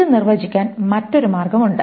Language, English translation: Malayalam, This is one way of defining it